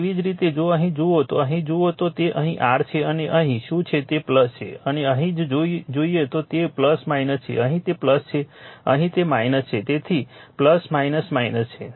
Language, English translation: Gujarati, Similarly if you if you if you if you look here if you look here here it is here it is your what you call here it is plus and here you must plus minus here it is plus here it is minus